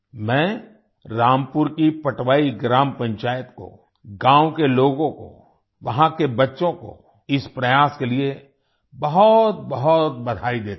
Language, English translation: Hindi, I congratulate the Patwai Gram Panchayat of Rampur, the people of the village, the children there for this effort